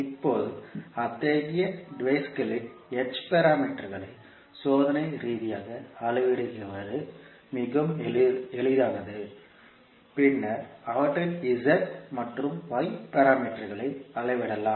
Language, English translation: Tamil, Now, it is much easier to measure experimentally the h parameters of such devices, then to measure their z and y parameters